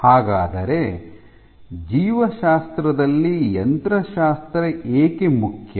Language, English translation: Kannada, So, why is mechanics important in biology